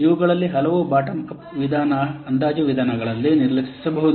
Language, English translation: Kannada, Many of these may be ignored in bottom up estimation